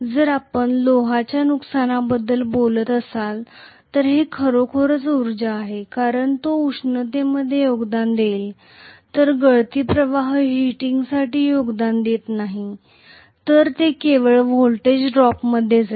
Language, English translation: Marathi, Whereas if you are talking about iron loss that is clearly real power loss because it will contribute to heating whereas leakage flux is not going to contribute towards heating, it will only go into voltage drop